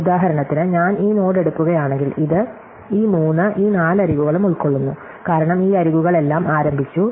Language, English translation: Malayalam, So, for example, if I take this node, then it covers these three, these four edges, because all these edges start at 2